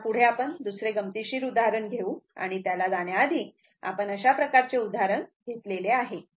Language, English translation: Marathi, Now, next we will take another interesting example and before going to this thing, we have taken this kind of example